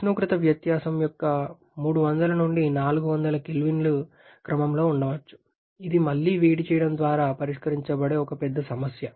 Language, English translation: Telugu, There maybe a 300 to 400 K order of temperature difference which is one big issue to be resolved with reheating